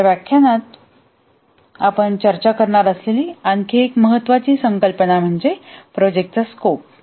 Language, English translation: Marathi, The other important concept that we will discuss in this lecture is the project scope